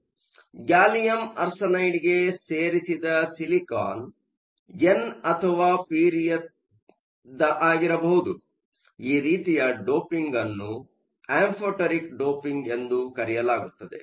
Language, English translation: Kannada, So, silicon added to gallium arsenide can be either n or p type, and this type of doping is called Amphoteric doping